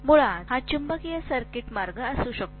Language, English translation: Marathi, This may be the magnetic circuit path basically